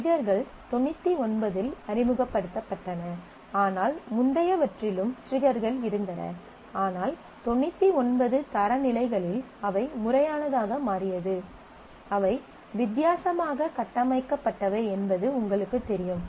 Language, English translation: Tamil, So, again they were introduced in 99, but earlier also triggers were there, but in 99 standard they became formal earlier they were somewhat you know differently structured